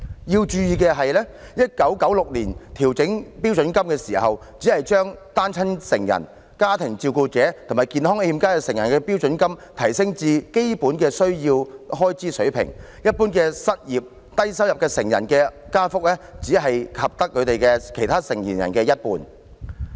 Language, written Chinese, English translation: Cantonese, 要注意的是 ，1996 年調整標準金額的時候，只把單親成人、家庭照顧者及健康欠佳成人的標準金額提升至基本需要開支的水平，而對一般失業、低收入成人的加幅，則只及其他成年人的一半。, Members have to note that in the adjustment of the standard rate payments in 1996 the standard rate payments for single parents family carers and adults in ill health were merely raised to the basic - needs level whereas the increase for the unemployed and low - income recipients was merely half of that of other adult recipients